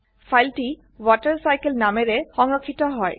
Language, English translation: Assamese, The file is saved as WaterCycle